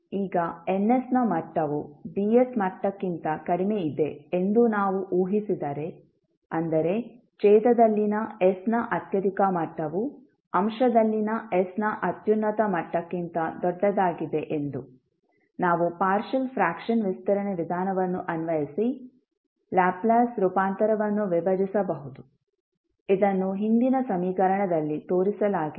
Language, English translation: Kannada, Now, if we assume that the degree of Ns is less than the degree of Ds that means the highest degree of s in denominator is greater than the highest degree of s in numerator we can apply the partial fraction expansion method to decompose the Laplace Transform which was shown in the previous equation